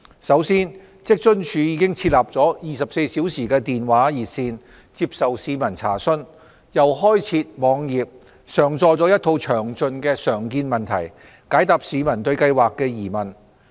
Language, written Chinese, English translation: Cantonese, 首先，職津處已設立了24小時電話熱線，接受市民查詢，又開設網頁，上載了一套詳盡的常見問題，解答市民對計劃的疑問。, First of all a 24 - hour telephone hotline has been established to receive public enquiries and a comprehensive list of frequently asked questions have been uploaded to WFAOs website to address questions about the Scheme from the public